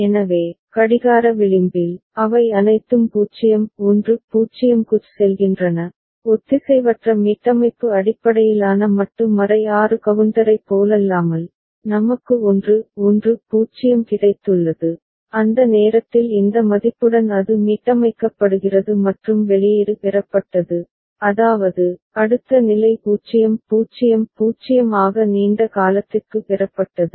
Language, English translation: Tamil, So, with the clock edge, all of them go to 0 0 0 unlike the asynchronous reset based modulo 6 counter where we have got 1 1 0 and at that times with this value it was getting reset and the output was obtained I mean, the next state was obtained as 0 0 0 for longer duration of the time